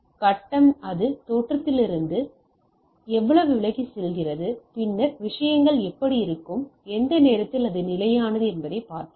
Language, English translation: Tamil, And phase we will see that how much it is drifted from the origin so to say later on we will see that how things will be there, so at what time it is static